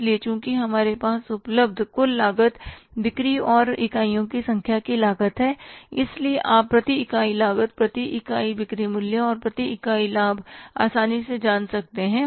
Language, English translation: Hindi, So, since we have the total cost available, means the cost of sales and number of units, so you can easily find out the per unit cost, per unit sales value and the per unit profits